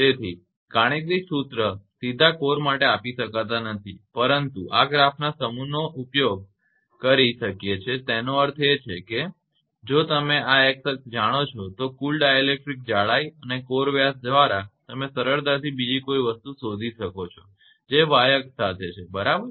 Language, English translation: Gujarati, So, direct core for mathematical formula cannot be given, but this curve we can use I mean if you know this x axis this total dielectric thickness by core diameter if you know this one you can easily find out the other quantity right which is along the y axis right